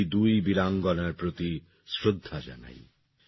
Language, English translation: Bengali, I offer my tributes to these two brave women